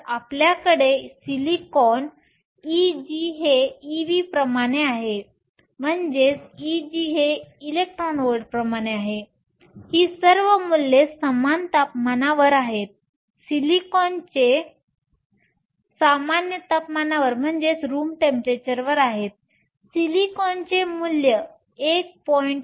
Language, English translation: Marathi, So, we have silicon e g terms of e v all these values are at room temperature silicon has a value of 1